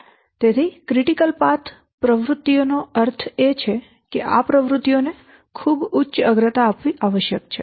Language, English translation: Gujarati, So critical path activities, that means activities lying on the critical path must be given very high priority